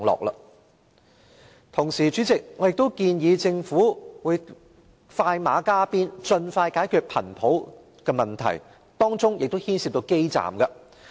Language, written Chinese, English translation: Cantonese, 與此同時，主席，我建議政府快馬加鞭，盡快解決頻譜問題，當中亦牽涉流動通訊基站的問題。, Meanwhile President I suggest that the Government hurry up and expeditiously resolve the problem of spectrum . The problem of mobile base stations is also involved